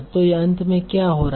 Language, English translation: Hindi, So why do that happen